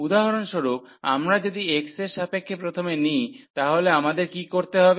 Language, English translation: Bengali, So, if we take if we consider for example first with respect to x, so what we have to do